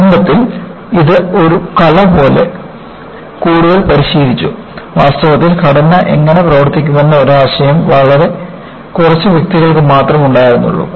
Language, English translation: Malayalam, So, it was practiced more like an art to start with; only, a very few individuals, who had an idea, how the structure would behave in reality